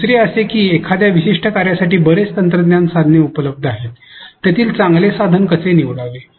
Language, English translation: Marathi, Now, given that there are so many technology tools available for a particular function how to select a good tool